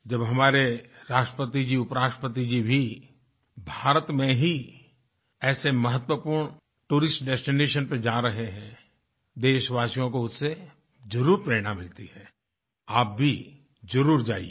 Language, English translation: Hindi, When our Hon'ble President & Vice President are visiting such important tourist destinations in India, it is bound to inspire our countrymen